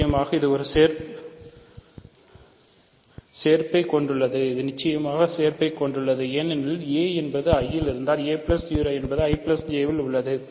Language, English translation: Tamil, Certainly it contains union because if a is in I then a plus 0 is in I plus J